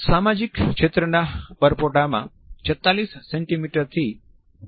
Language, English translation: Gujarati, The social zone is somewhere from 46 centimeters to 1